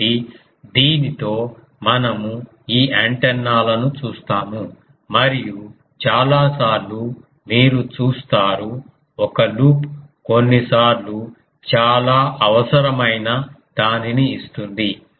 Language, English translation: Telugu, So, with this we see this antennas and many times you will see that a loop sometimes gives a much um needed thing